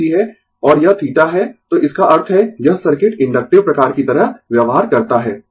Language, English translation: Hindi, And this is theta, so that means, this circuit behave like inductive type